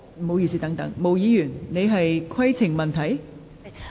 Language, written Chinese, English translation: Cantonese, 毛議員，你是否有規程問題？, Ms MO do you have a point of order?